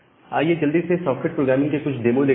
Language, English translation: Hindi, So, let us quickly go to some demo of this entire idea of socket programming